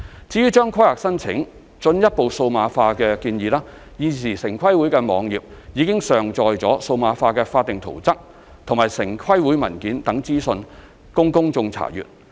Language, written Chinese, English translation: Cantonese, 至於將規劃申請進一步數碼化的建議，現時城規會網頁已上載了數碼化的法定圖則和城規會文件等資料供公眾查閱。, As regards the suggestion on further digitizing planning applications information such as digitized statutory plans and TPBs documents has already been uploaded to TPBs website for public inspection